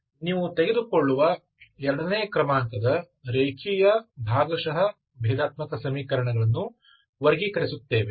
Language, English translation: Kannada, second order linear partial differential equation